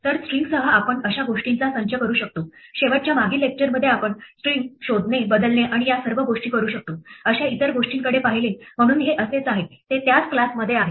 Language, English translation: Marathi, So the set of things that we can do with strings, last, in the previous lecture we looked at other things we can do string like, find, replace and all this things, so this is like that, it is in the same class